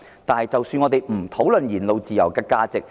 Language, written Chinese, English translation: Cantonese, 我們暫且不討論言論自由的價值。, Let us not discuss the value of freedom of speech for the time being